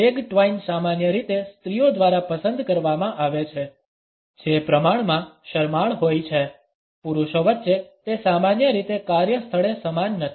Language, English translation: Gujarati, The leg twine is normally opted by those women who are relatively shy; amongst men it is normally not same in the workplace